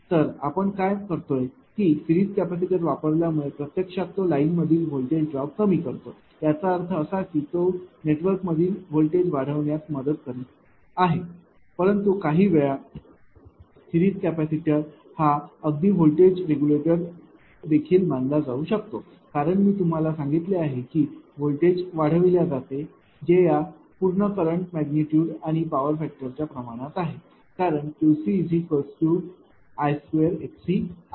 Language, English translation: Marathi, So, what we are doing; using series capacitor actually it actually it ah reduces the voltage drop in the line naturally it; that means, it is helping to ah your what you call the voltage increase in the network right, but at times series capacitor can even be considered as a voltage regulator I told you because that provides for a voltage boost which is proportional to the magnitude and power factor of the through current right; because Q c is equal to I square x c